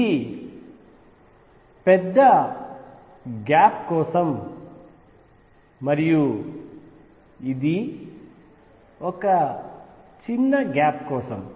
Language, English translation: Telugu, This is for large gap, and this is for small band gap